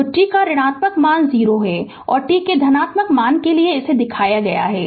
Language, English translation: Hindi, So, negative value of t it is 0 and for positive value of t it is shown right